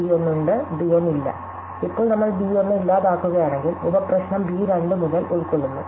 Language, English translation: Malayalam, So, yes b 1 and no b 1, now if we eliminate b 1, then our sub problem just consists of b 2 onwards